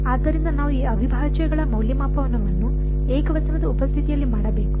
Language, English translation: Kannada, So, we have to do the evaluation of these integrals in the presence of a singularity